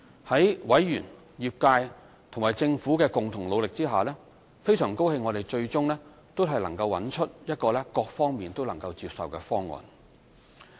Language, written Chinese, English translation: Cantonese, 在委員、業界和政府的共同努力下，我們很高興最終都能找到一個各方都能接受的方案。, With the collaborated effort of the members the industry and the Government we are pleased that an option acceptable to all is ultimately found